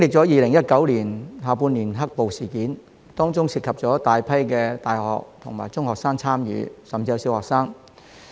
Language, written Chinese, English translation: Cantonese, 2019年下半年的"黑暴"事件，有大批大學生、中學生甚至小學生參與。, In the black - clad violence in the second half of 2019 a large number of participants were university students secondary students and even primary students